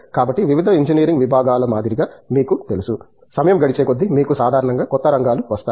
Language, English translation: Telugu, So, you know like with various engineering disciplines, with a passage of time you know generally new areas come up